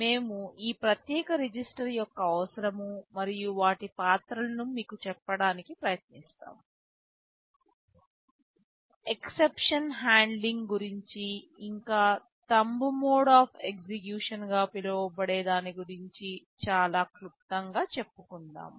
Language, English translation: Telugu, There are some special registers, we shall be trying to tell you the necessity and roles of these special register; something about exception handling and there is something called thumb mode of execution also very briefly about that